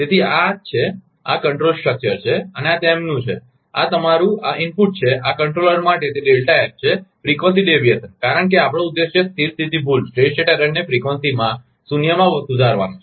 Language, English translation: Gujarati, So, that is why this is the control structure and this is their, this is your an input to this controller is delta F, the frequency deviation because our objective is to connect the steady state error in frequency to zero